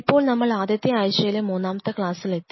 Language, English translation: Malayalam, So, we are into Week 1 and today is our class 3